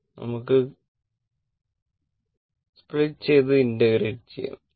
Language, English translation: Malayalam, Now, you just break it and just you integrate it